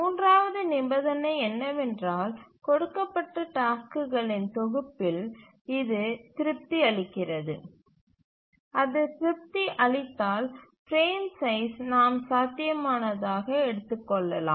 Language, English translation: Tamil, So, the third condition we can write in this expression and we will see given a task set whether it satisfies this and then if it satisfies then we can take the frame size as feasible, otherwise we have to discard that frame size